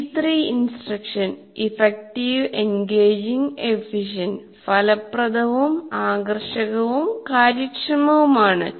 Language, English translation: Malayalam, That's why it is called E3 instruction, effective, engaging and efficient